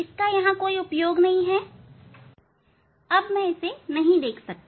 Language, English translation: Hindi, there is no function of this one, now I cannot see this one